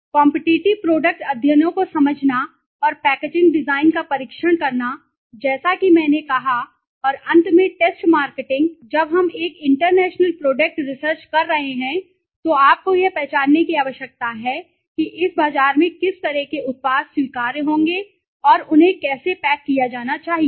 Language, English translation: Hindi, Testing the product competitive product studies understanding and packaging design as I said and finally the test marketing so when we are doing a international product research you need to identify what kind of products would be acceptable in this market and how they should be packaged